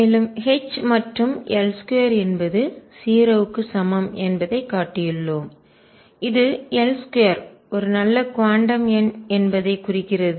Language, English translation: Tamil, And we have shown that H and L square is equal to 0 which implies that L square is a good quantum number